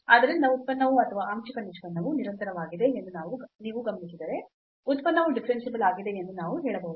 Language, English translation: Kannada, So, if you observe that the function is or the partial derivative is continuous, then we can claim that the function is differentiable